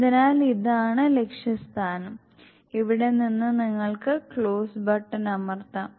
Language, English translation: Malayalam, So this the target stage from here you can close to the button